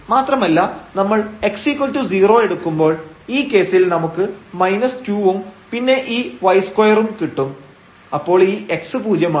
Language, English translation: Malayalam, And if we take x is equal to 0 and in this case we will get minus 2 and then plus this y square